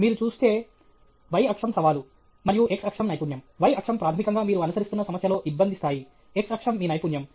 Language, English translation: Telugu, If you see, y axis is challenge and x axis is skill; y axis is basically the difficulty level in the problem you are pursuing; pursuing x axis is your skill